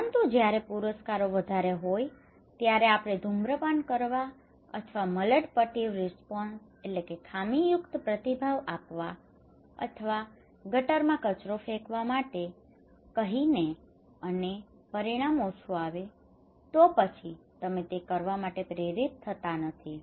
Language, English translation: Gujarati, But when the rewards are high for let us say for smoking or maladaptive response or throwing garbage in a drain and the consequence is lesser then you are not motivated to do it